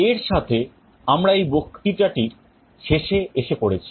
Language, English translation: Bengali, With this we come to the end of this lecture